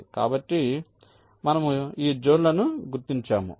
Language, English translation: Telugu, in this way you define the zones